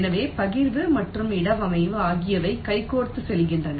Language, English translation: Tamil, so partitioning in placement are going hand in hand